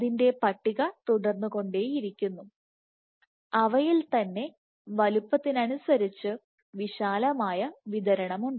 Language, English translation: Malayalam, So, the list keeps on growing, you have a broad distribution in sizes